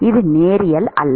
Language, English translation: Tamil, It is not linear